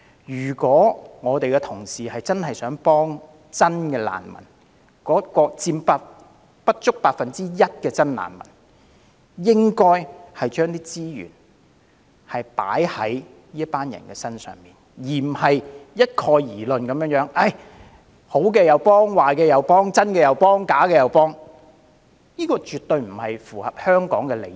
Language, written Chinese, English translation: Cantonese, 如果同事真心希望幫助不足 1% 的真難民，應該將資源投放在真難民身上，而不應不論好壞，不分真假，統統幫助，因為此舉絕不符合香港的利益。, While the Honourable colleague may truly want to help the less than 1 % of genuine refugees the resources should be used only to help the genuine refugees . It is against the interests of Hong Kong to help all refugees blindly regardless of their true identity